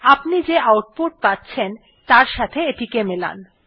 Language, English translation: Bengali, Match this according to the output you are getting